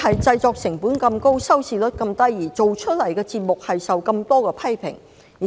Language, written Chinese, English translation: Cantonese, 製作成本高但收視率低，製作的節目受到眾多批評。, While the production cost is high the TV ratings are low and the programmes produced have been criticized by many people